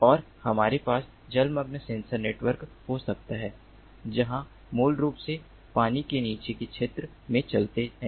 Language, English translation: Hindi, and we can have underwater sensor networks, where the nodes basically move in the underwater area